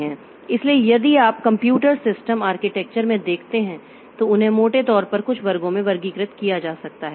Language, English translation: Hindi, So, if you look into the computer system architecture so they can broadly be classified into a few classes